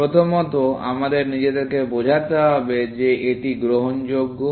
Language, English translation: Bengali, First, we should convince ourselves that it is admissible